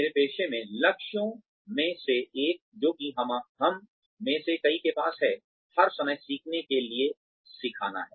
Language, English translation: Hindi, In my profession, one of the goals, that many of us have, is to learn, to keep learning all the time